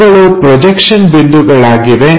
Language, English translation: Kannada, So, projection points are this